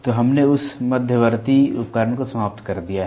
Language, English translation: Hindi, So, we have finished that the intermediate device